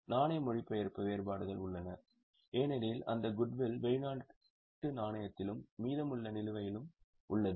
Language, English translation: Tamil, There is currency translation differences because that goodwill is in foreign currency and the balance at the end